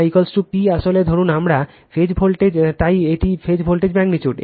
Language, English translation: Bengali, V p p actually suppose we call phase, so it is phase voltage magnitude